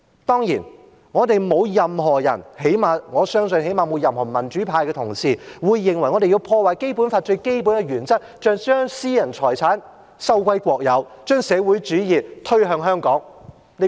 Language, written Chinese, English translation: Cantonese, 當然，我們沒有任何人——我相信最少限度沒有任何民主派的同事——會認為我們要破壞《基本法》最基本的原則，要將私人財產收歸國有，將社會主義推向香港。, For sure no one from us at least no colleagues from the democratic camp as I believe will reckon that we have to undermine the most basic principles of the Basic Law by nationalizing private property and imposing socialism upon Hong Kong